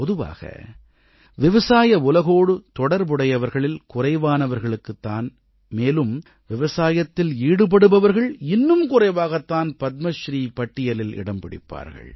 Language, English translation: Tamil, Generally, very few people associated with the agricultural world or those very few who can be labeled as real farmers have ever found their name in the list of Padmashree awards